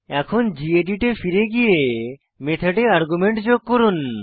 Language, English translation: Bengali, Now let us go back to gedit and add an argument to the method